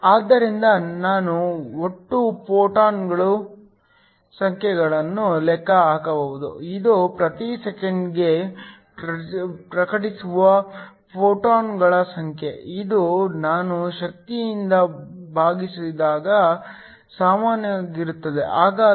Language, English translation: Kannada, So, we can calculate the total number of photons, this is the number of photons that are incident per second, this is equal to I divided by the energy